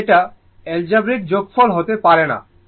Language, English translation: Bengali, But just cannot be algebraic sum, right